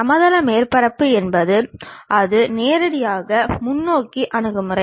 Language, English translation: Tamil, If it is plane surface it is pretty straight forward approach